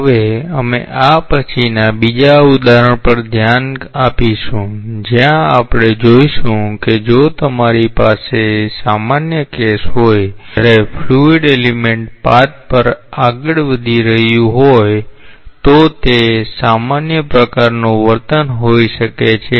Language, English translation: Gujarati, Now, we will look into a second example after this where we will see that like if you have a general case, when the when a fluid element is moving along a path then like it can have a general type of behavior